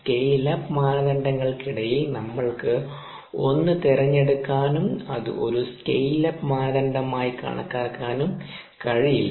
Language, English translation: Malayalam, during scale up criteria we cannot choose anything and have that as a scale up criteria